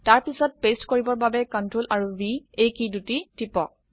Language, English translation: Assamese, To paste, press CTRL and V keys together